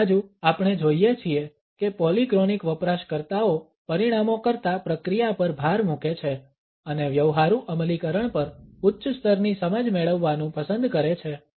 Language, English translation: Gujarati, On the other hand we find that polychronic users emphasize process over results and prefer to gain a high level of understanding over a practical implementation